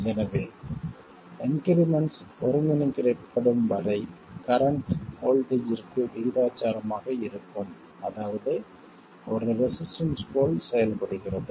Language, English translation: Tamil, So as far as the increments are concerned, the current is proportional to voltage which means that it behaves like a resistor